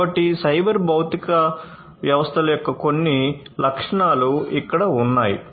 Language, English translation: Telugu, So, here are some features of cyber physical systems